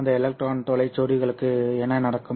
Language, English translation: Tamil, There is no multiplication of the electron hole pairs involved there